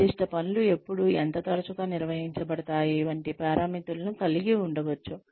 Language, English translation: Telugu, Which may include parameters like, when and how often, specific tasks are performed